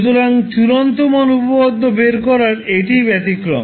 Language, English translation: Bengali, So that is the only exception in finding out the final value theorem